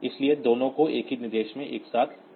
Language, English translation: Hindi, So, both of them are taken together into a single instruction